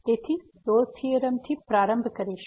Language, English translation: Gujarati, So, starting with the Rolle’s Theorem